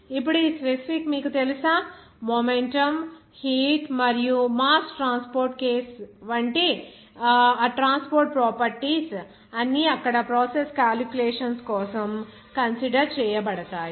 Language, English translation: Telugu, Now, this specific, you know, that momentum, heat, and mass transport case that all those transport properties will be considered for process calculations there